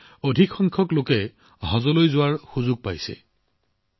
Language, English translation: Assamese, Now, more and more people are getting the chance to go for 'Haj'